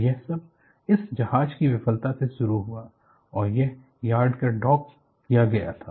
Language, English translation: Hindi, And it all started from the failure of this ship, and this was docked in the yard